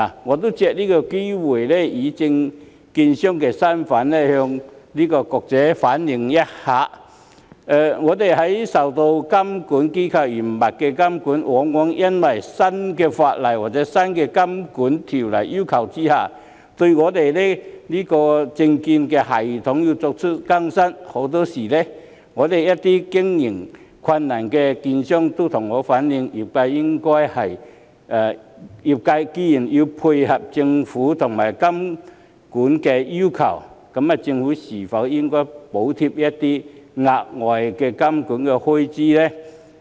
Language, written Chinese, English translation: Cantonese, 我也希望藉此機會以證券商的身份向局長反映，我們受監管機構嚴密監管，往往要因應新法例或在新監管要求下，更新自己的證券系統，很多時一些經營困難的券商都向我反映，業界既然要配合政府和監管要求，政府是否應該補貼一些額外的監管開支呢？, I would also like to take this opportunity to reflect to the Secretary in my capacity as a security dealer that we being subject to the stringent supervision of the regulators often have to update our securities system in response to new legislation or new regulatory requirements . Very often some brokerage firms facing operational difficulties have reflected to me that since the industry has to comply with government and regulatory requirements should the Government provide subsidies to meet some additional regulatory expenses then?